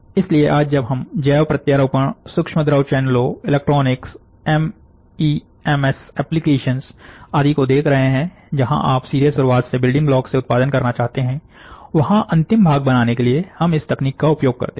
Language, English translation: Hindi, So, today when we are looking at bio implants, when we are looking at micro fluidic channels, when we are looking at electronics, when we are looking at MEMS application, where directly you want to produce from, the from the start, from the building block, we use this technique for making the final part